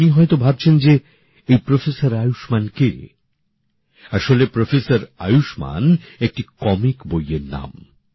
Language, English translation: Bengali, Actually Professor Ayushman is the name of a comic book